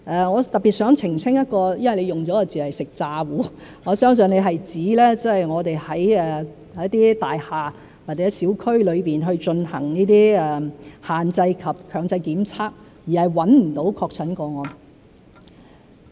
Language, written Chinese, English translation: Cantonese, 我特別想澄清，謝議員用的一個字眼——"食詐糊"，我相信他是指我們在一些大廈或者小區裏進行限制及強制檢測，而找不到確診個案。, In particular I wish to clarify the term that you used―a false alarm . I believe you were referring to the situation where restrictions and compulsory testing were imposed in some buildings or areas and yet no confirmed cases were found